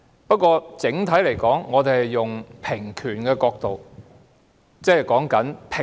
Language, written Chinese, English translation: Cantonese, 不過，整體而言，我們是以平權的角度出發的。, However overall speaking we will start off from the perspective of equal rights